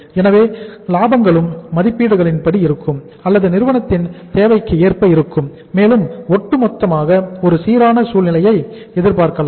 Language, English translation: Tamil, So the profits will also be as per the estimates or as per the requirements of the firm and means overall a balanced scenario can be expected